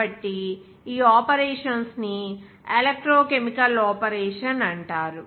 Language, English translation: Telugu, So these are the operations, are called this electrochemical operation